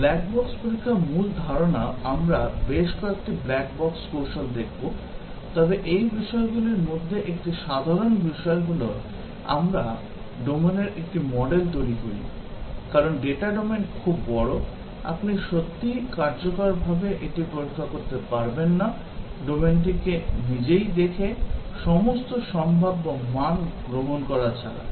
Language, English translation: Bengali, The main idea in black box testing, we will look at several black box techniques, but one thing that is common to all this is that, we construct a model of the domain; because the data domain is very very large, you cannot really test it effectively, by looking at the domain itself, other than taking all possible values